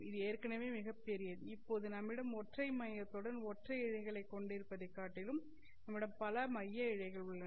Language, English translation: Tamil, Finally, you have what are called as multi core fibers rather than having a single fiber with a single core you now get multi core fibers